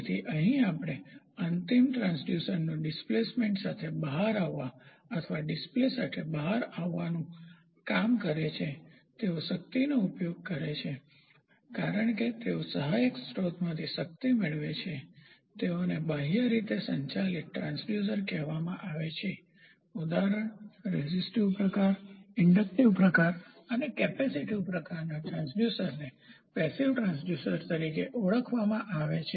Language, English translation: Gujarati, So, here what we do is for working the final transducer to come out with the displacement or to come out with a display, they use of power since they receive power from the auxiliary source they are termed as externally powered transducer example resistive type inductive type and capacitive type transducers are called as passive transducers